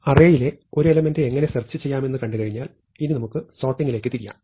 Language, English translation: Malayalam, So, having seen how to search for an element in an array, now let us turn to sorting